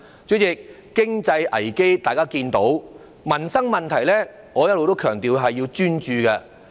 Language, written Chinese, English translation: Cantonese, 主席，經濟危機大家也能看到，至於民生問題，我一向強調須專注處理。, President all of us can see the economic crisis and as regards the issue of peoples livelihood all along I have stressed the need to focus on dealing with it